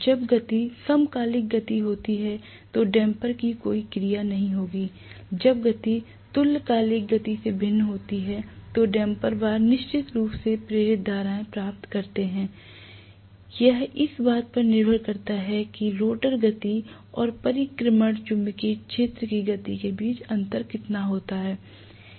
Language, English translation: Hindi, The damper will not have any action when the speed is synchronous speed, whenever the speed is different from synchronous speed the damper bars are definitely going to get induced currents, depending upon how much is the difference in the speed between the rotor speed and the revolving magnetic fields speed